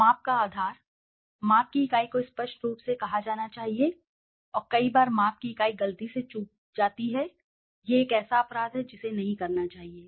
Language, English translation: Hindi, Basis of measurement, the unit of measurement should be clearly stated and many a times the unit of measurement is missed by mistake, that is a crime one should not do it